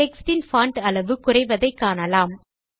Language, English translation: Tamil, You see that the font size of the text decreases